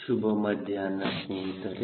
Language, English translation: Kannada, so good afternoon friends